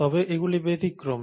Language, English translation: Bengali, But they are exceptions